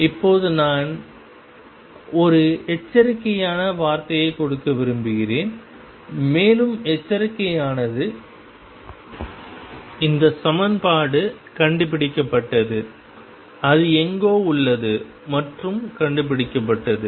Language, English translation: Tamil, Now this I want to give a word of caution, and the caution is that this equation is discovered, it exists somewhere and is discovered